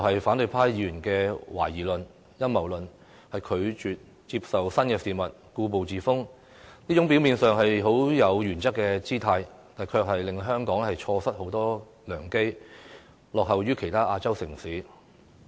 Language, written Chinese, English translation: Cantonese, 反對派議員的懷疑態度和提出陰謀論，拒絕接受新事物，固步自封，這種表面上有原則的姿態，卻會令香港錯失很多良機，以致落後於其他亞洲城市。, Opposition Members being sceptical put forward a conspiracy theory and refuse to accept new ideas and make progress . They seem to adhere to principles but the price is that Hong Kong has missed many opportunities and is now lagging behind other Asian cities